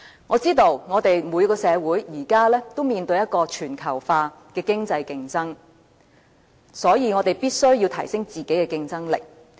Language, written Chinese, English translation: Cantonese, 我知道每個社會現時都面對全球化的經濟競爭，所以我們必須提升自己的競爭力。, Nowadays every society is faced with global economic competition which is why we must upgrade our own competitiveness